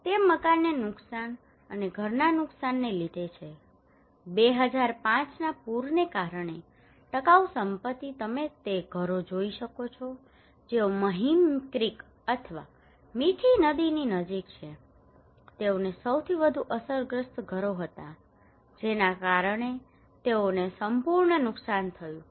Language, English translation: Gujarati, It was the damage to building and damage to household, durable asset due to 2005 flood you can see those houses which are close to the Mahim Creek or Mithi river they were the most affected households by they had total damage okay